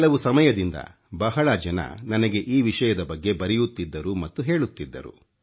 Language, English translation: Kannada, Over some time lately, many have written on this subject; many of them have been telling me about it